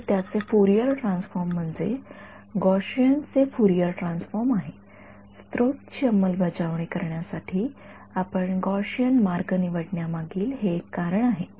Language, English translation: Marathi, So, the Fourier transform of this is Fourier transform of a Gaussian is a Gaussian that is one of the reasons you choose a Gaussian way to implement a source right